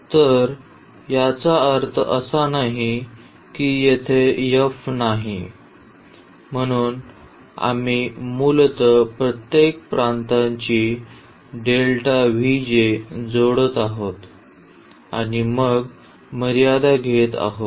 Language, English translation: Marathi, So; that means, there is no f here so we are basically adding this delta V j the volume of each sub region and then taking the limit